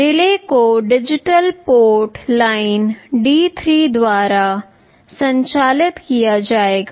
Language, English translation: Hindi, The relay will be driven by digital port line D3